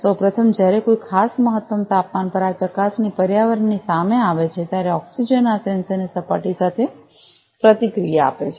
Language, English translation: Gujarati, First of all, when at a particular optimum temperature this probe is exposed to the environment the oxygen reacts with the surface of this sensor